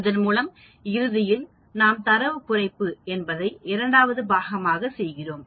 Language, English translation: Tamil, Then finally you go into data reduction that is the second part of the course